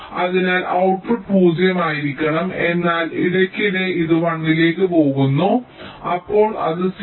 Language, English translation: Malayalam, so the output should be zero, but in between it is going to one periodically, then it is stabilizing to zero